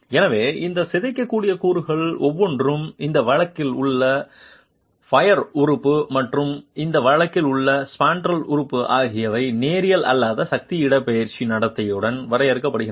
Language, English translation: Tamil, So, each of these deformable elements, the peer element in this case and the spandrel element in this case are defined with a nonlinear force displacement behavior